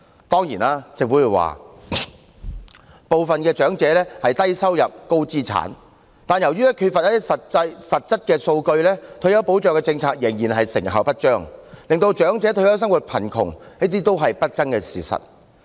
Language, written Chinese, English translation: Cantonese, 當然，政府會說部分長者是低收入、高資產，但由於缺乏實質數據，退休保障政策仍然成效不彰，令長者退休生活貧窮亦是不爭的事實。, Of course the Government claims that some of the elderly make a low income but hold huge assets . However due to the lack of concrete figures the Governments retirement protection policy is still ineffective resulting in the elderly living in poverty upon retirement . This is another indisputable fact